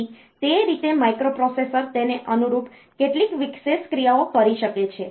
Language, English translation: Gujarati, So, that way it can the the microprocessor may do some special action corresponding to that